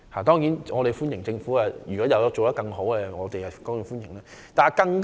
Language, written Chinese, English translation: Cantonese, 當然，如果政府可以做得更多，我們是歡迎的。, Certainly we will welcome any greater efforts from the Government